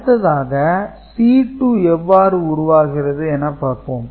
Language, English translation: Tamil, So, how C 3 is getting generated